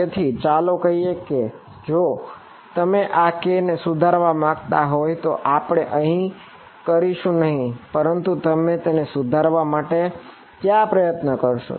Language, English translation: Gujarati, So, let us say if you wanted to improve this k we would not do it here, but what would what would you try to do if wanted to improve this